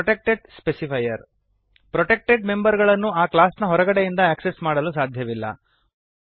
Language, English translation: Kannada, Protected specifier Protected members cannot be accessed from outside the class